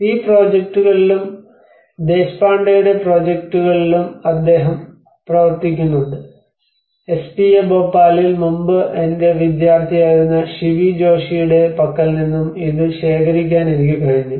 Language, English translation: Malayalam, \ \ And his work has been, he has been working on this projects and also Deshpande\'eds work, so this I have able to procure from Shivi Joshi\'eds, who was my student earlier in SPA Bhopal